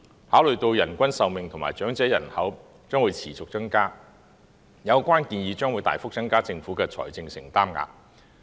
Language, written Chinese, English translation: Cantonese, 考慮到人均壽命及長者人口將持續增加，有關建議將會大幅增加政府的財政承擔額。, Having regard to the continual growth in average life expectancy and the elderly population the relevant proposals will substantially increase the Governments financial commitment